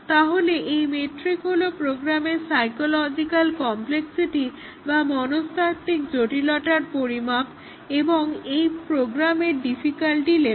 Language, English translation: Bengali, So, the McCabe’s metric is a measure of the psychological complexity of the program or the difficulty level of this program